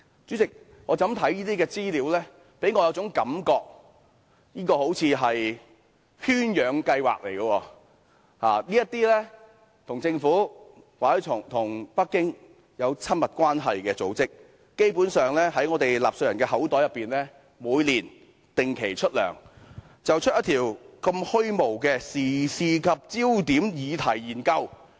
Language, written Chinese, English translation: Cantonese, 主席，這些資料給予我一種感覺，這好像是圈養計劃似的，這些與政府或北京有親密關係的組織，基本上每年從我們納稅人的口袋定期出糧，產生出如此虛無的時事焦點議題研究。, Chairman these pieces of information make me feel that it is like a captive breeding scheme . Basically these organizations which are closely connected with the Government or Beijing are regularly paid with our taxpayers money every year generating such intangible studies on current affairs and topical issues